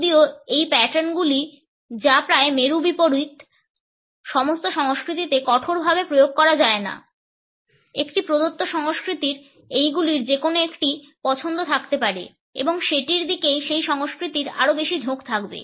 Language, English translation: Bengali, Although these patterns which are almost polar opposites cannot be applied rigidly to all the cultures; a given culture is likely to have a preference for either one of these and would be more inclined towards it